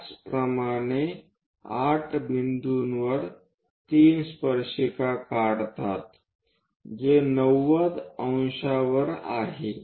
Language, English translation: Marathi, Similarly, 8 point 3 draw a tangent which is at 90 degrees